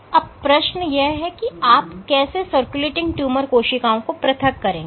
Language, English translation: Hindi, So, how do you isolate these circulating tumor cells is the question